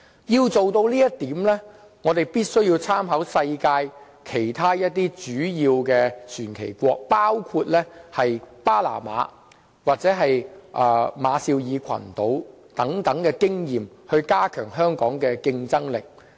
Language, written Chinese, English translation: Cantonese, 要做到這一點，我們必須以世界其他一些主要的船旗國作為參考，包括巴拿馬或馬紹爾群島等地的經驗，以期加強香港的競爭力。, to promote Hong Kong as a high value - added maritime services hub . To this end we have to draw reference from other leading flag states in the world including the experiences of Panama and the Republic of the Marshall Islands with a view to strengthening our competitiveness